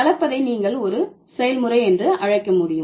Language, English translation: Tamil, Blending you can also call it as a process